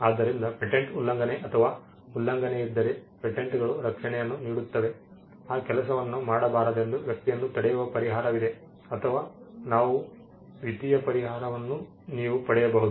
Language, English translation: Kannada, So, patents offer protection if there is infringement or violation of a patent, there is a remedy you can stop the person from asking him not to do that thing or you can claim what we call monetary compensation or damages